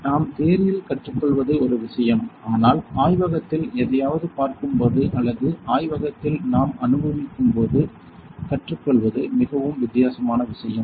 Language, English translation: Tamil, So, whatever we learn in theories one thing when we look something in the lab or we experience that in the lab is a very different thing